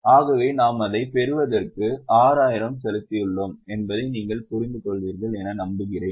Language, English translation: Tamil, So, I hope you understand that we have paid 6,000